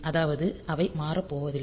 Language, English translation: Tamil, So, they are not going to change